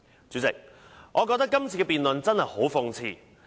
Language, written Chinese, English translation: Cantonese, 主席，我覺得今次的辯論真的很諷刺。, President as I see it this debate is really an irony